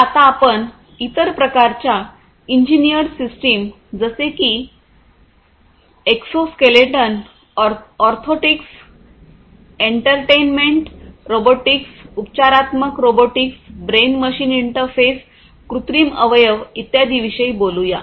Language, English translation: Marathi, So, let us now talk about other kinds of engineered systems such as you know exoskeletons, orthotics then you know like entertainment robotics, therapeutic robotics, brain machine interfaces, prosthetics, and so on